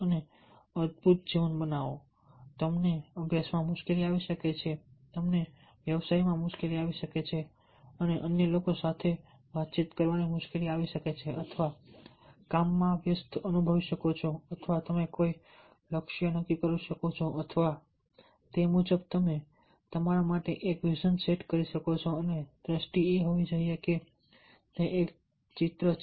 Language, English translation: Gujarati, you may have troubled in studying, you may have trouble in business, trouble in interacting with others or feeling engaged in work, or you may set a goal or, accordingly, you can set a vision for yourself, and the vision is that it is a picture in your mind that you want